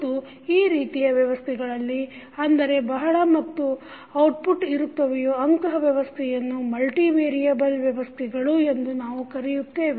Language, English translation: Kannada, And this type of system where you have multiple inputs and outputs we call them as multivariable systems